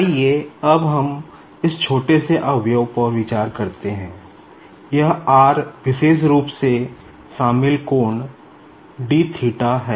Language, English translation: Hindi, Now, let us try to concentrate on this small element, now this is r, this particular included angle is your d theta